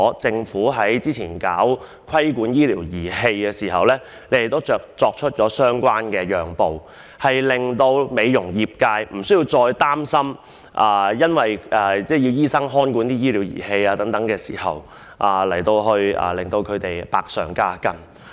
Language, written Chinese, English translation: Cantonese, 政府早前在制定規管醫療儀器的法案時，也作出相關的讓步，令美容業界不需要擔心因為只可由醫生或在醫生監督下使用醫療儀器而增加負擔。, Previously when the Government formulated the Bill on regulation of medical equipment it made similar compromises so that the beauty industry needed not worry about bearing a greater burden as a result of the requirement that medical equipment must be used by medical practitioners only or under the supervision of medical practitioners